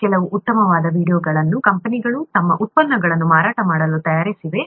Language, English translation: Kannada, Some of these very nice videos have been made by companies to sell their products